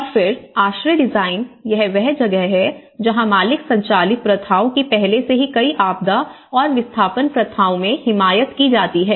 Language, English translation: Hindi, And then shelter design, because this is where the owner driven practices are already advocated in many disaster and displacement practices